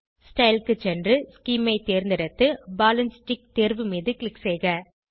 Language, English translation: Tamil, Scroll down to Style, select Scheme and click on Ball and Stick option